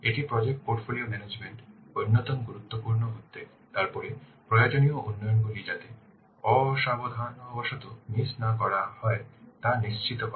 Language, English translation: Bengali, So another important concern of project portfolio management is that we have to ensure that necessary developments have not been inadvertently missed